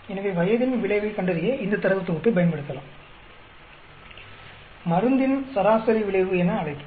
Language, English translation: Tamil, So, we can use this data set to find out effect of age, mean effect will call it effect of drug mean effect